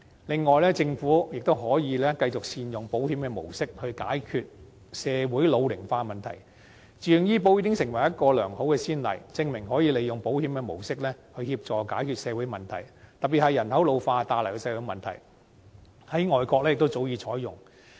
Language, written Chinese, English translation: Cantonese, 另外，政府亦可以繼續善用保險模式，解決社會老齡化問題，自願醫保計劃已經成為一個良好的先例，證明可以利用保險的模式來協助解決社會問題，特別是人口老化帶來的社會問題，這模式在外國亦早已採用。, In addition the Government can also continue utilizing the mode of insurance to address the ageing problem in society . VHIS has become a good precedent to prove that the mode of insurance can be used to help address social problems particularly social problems arising from population ageing . Such a mode has long been adopted in foreign countries